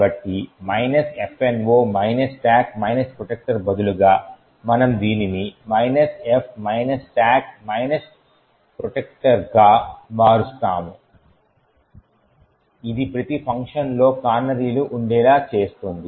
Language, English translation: Telugu, So instead of minus F no stack protector we would change this to minus F stack protector which forces that canaries be present in every function